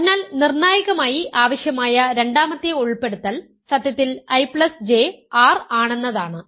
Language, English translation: Malayalam, So, and then the second inclusion we needed crucially the fact that I plus J is R